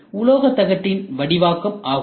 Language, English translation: Tamil, And this is done by metal forming sheet